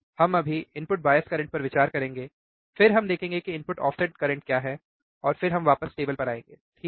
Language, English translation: Hindi, We will just consider, right now input bias current, then we will see what is input offset current, and then we will come back to the table, alright